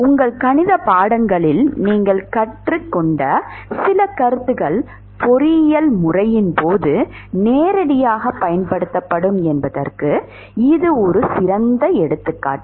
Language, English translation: Tamil, This is an excellent example of where some of the concepts that you learnt in your math courses are directly applied in during to engineering system